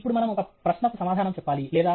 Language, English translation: Telugu, Now we have to answer a question, no